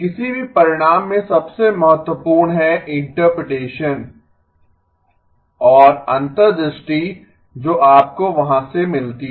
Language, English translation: Hindi, Most important in any result is the interpretation and the insight that you get from there